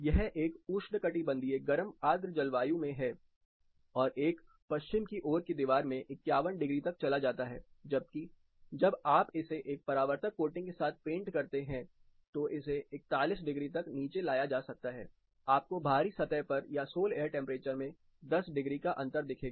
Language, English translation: Hindi, This is in a tropical warm humid climate and goes as high as 51 degrees in a west facing wall whereas, when you paint it with a reflective coating it can be brought as low as 41 degree, you will find 10 degree difference on the external surface or sol air temperature